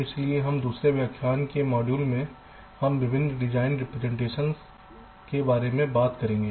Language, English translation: Hindi, so in this second lecture, the module, we shall be talking about various design representations